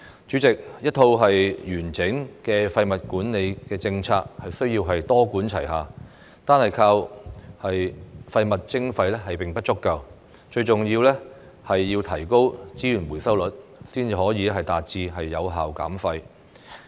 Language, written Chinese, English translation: Cantonese, 主席，一套完整的廢物管理政策需要多管齊下，單靠廢物徵費並不足夠，最重要的是提高資源回收率，才可以達致有效減廢。, President a comprehensive waste management policy cannot do without a multi - pronged approach . Waste charging alone is not enough and most importantly boosting the resource recovery rate is the key to achieving waste reduction